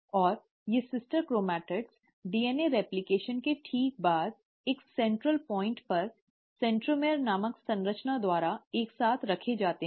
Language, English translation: Hindi, And, these sister chromatids, right after DNA replication will be held together at a central point by a structure called as ‘centromere’